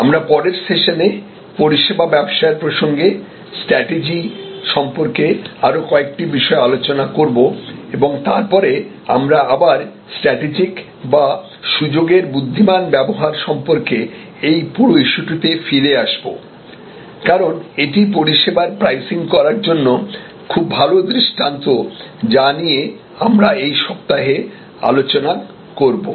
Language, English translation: Bengali, Let us discuss a few more issues about strategy in the context of the service business, in the next session and then we will again come back to this whole issue about strategic or intelligent opportunism, because this is also a very good paradigm for pricing in the service context which we will discuss this week